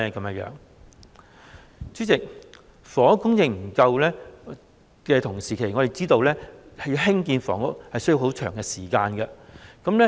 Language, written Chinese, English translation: Cantonese, 代理主席，就房屋供應不足問題，我們知道興建房屋需要長時間。, Deputy President in respect of the shortage in housing supply we know that housing construction takes a long time